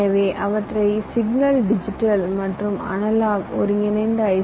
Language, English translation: Tamil, so we call them mix signal, digit digital, an analog combined kind of i c